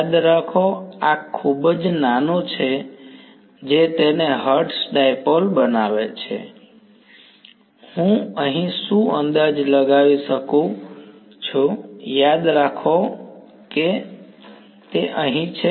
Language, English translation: Gujarati, Remember, this delta z is very very small that is what makes its a Hertz dipole, what approximation can I make over here, remember r over here is mod r minus r prime